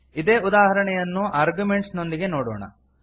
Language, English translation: Kannada, Let us see the same example with arguments